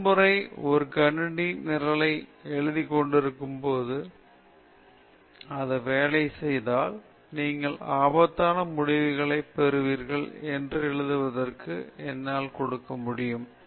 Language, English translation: Tamil, First time when we are writing a computer program, if it works, I can give it in writing that you will get absurd results